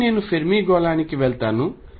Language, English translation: Telugu, Again I will go to the Fermi sphere